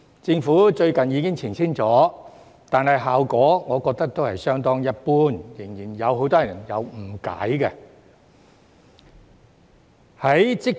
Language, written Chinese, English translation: Cantonese, 政府最近已經澄清了，但我覺得效果都是相當一般，仍然有很多人誤解。, Although the Government has made a clarification lately I do not find it to be of much help as there is still misunderstanding among many people